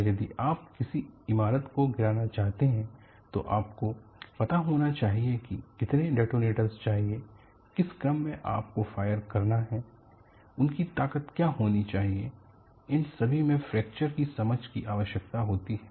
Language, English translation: Hindi, And if you want to demolish a building, you should know how much detonator, in which sequence you have to fire,what should be the strength of it all these require understanding a fracture